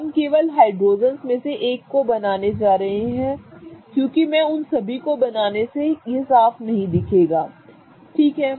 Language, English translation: Hindi, We are only going to draw one of these hydrogens because I don't want to draw all of them such that it becomes messy